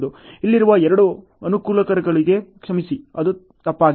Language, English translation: Kannada, Sorry for the two disadvantages here it is a mistake ok